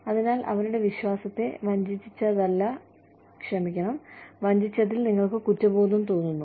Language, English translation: Malayalam, So, you feel guilty, about betraying their trust